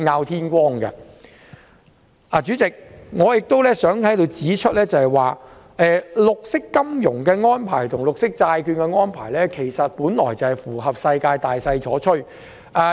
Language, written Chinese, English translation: Cantonese, 代理主席，我亦想在此指出，發展綠色金融和發行綠色債券在國際上是大勢所趨。, The development of green finance and green bond issuances are in line with the international trend